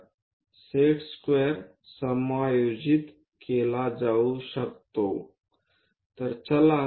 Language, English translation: Marathi, So, the set square can be adjusted there move our